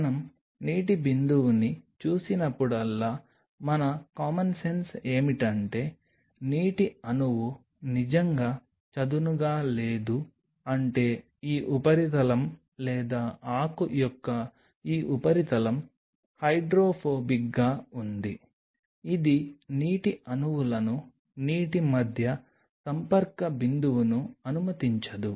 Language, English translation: Telugu, Whenever we see a water droplet like what is our common sense it says that the water molecule is not really flattening out it means this substrate or this surface of the leaf is hydrophobic right, it does not allow the water molecules the contact point between the water molecule and the leaf is very or minimum